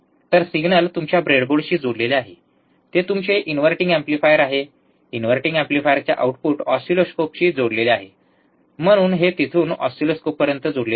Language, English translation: Marathi, So, signal is connected to your breadboard, it is your inverting amplifier, inverting amplifier output is connected back to the oscilloscope so, from here to oscilloscope